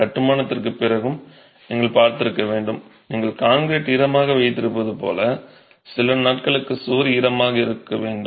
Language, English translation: Tamil, You must have seen after construction the wall has to be kept wet for a few days just like you would keep concrete wet